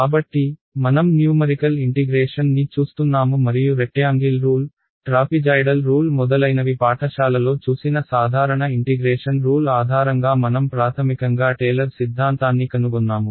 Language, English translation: Telugu, So, we were looking at numerical integration right and we found out the basis of the simple integration rules that we came across in high school like the rectangle rule, trapezoidal rule etcetera it was basically Taylor’s theorem